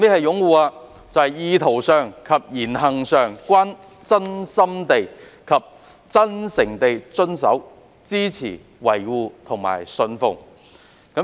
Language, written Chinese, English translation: Cantonese, "擁護"就是意圖上及言行上均真心地及真誠地遵守、支持、維護及信奉。, Uphold means to genuinely and truthfully observe support maintain and embrace in words and deeds as well as the intention to do so